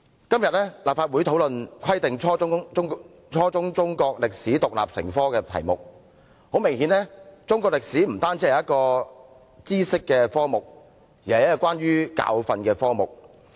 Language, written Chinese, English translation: Cantonese, "今天立法會討論"規定初中中國歷史獨立成科"議題，很明顯，中國歷史不單是一個知識的科目，更是一個關於教訓的科目。, Today the topic of our discussion in the Legislative Council is Requiring the teaching of Chinese history as an independent subject at junior secondary level . Obviously Chinese history is not simply a knowledge - based subject it is also a subject on lessons learnt from the past